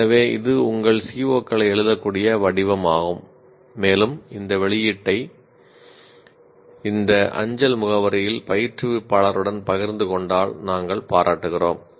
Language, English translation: Tamil, So, this is a format in which you can write your COs and we would appreciate if you share your your output with the instructor at this email address